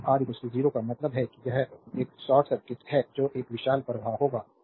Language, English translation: Hindi, So, R is equal to 0 means it is a short circuit it a huge current will flow